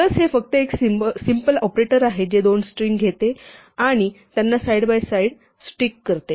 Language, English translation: Marathi, So, plus is just the simple operator which takes two strings and sticks them side by side